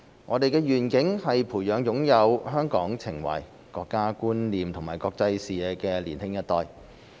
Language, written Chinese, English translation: Cantonese, 我們的願景是培養擁有香港情懷、國家觀念和國際視野的年輕一代。, Our vision is to nurture a new generation with affection for Hong Kong a sense of national identity and an international perspective